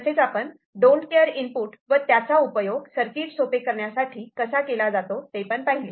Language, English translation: Marathi, And also you looked at don’t care input, and how that can be used for minimizing the circuit